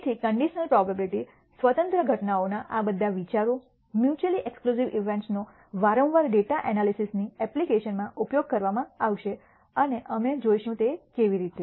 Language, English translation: Gujarati, So, all these ideas of conditional probability independent events; mutually exclusive events will be repeatedly used in the application of data analysis and we will see how